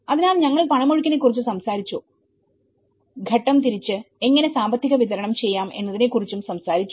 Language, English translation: Malayalam, So, we talked about the cash flows, we talked about how at a stage wise, how we can deliver the financial disbursement